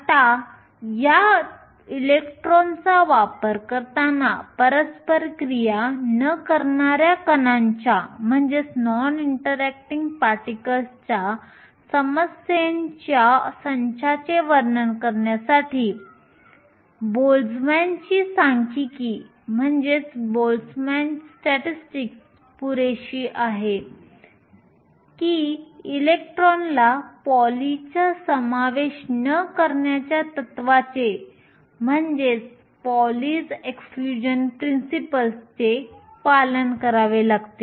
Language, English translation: Marathi, Now, a Boltzmann statistics is good enough to describe a set of non interacting particles problem with using these electrons is that electrons have to obey PauliÕs exclusion principle